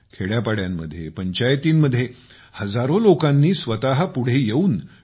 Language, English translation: Marathi, Thousands of people in villages & Panchayats have come forward themselves and adopted T